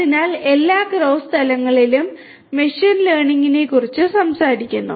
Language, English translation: Malayalam, So, this is what machine learning talks about at every cross level